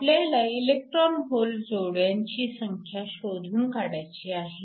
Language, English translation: Marathi, We need to calculate the number of electron hole pairs per second